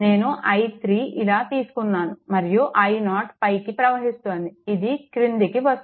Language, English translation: Telugu, Only one thing is here i 3 we have taken like this and i 0 is your what you call upward, it is going downward; that means, your i 0 is equal to minus i 3 right